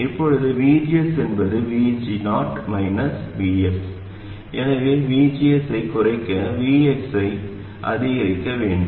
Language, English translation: Tamil, So, this means that to reduce VGS we must increase Vs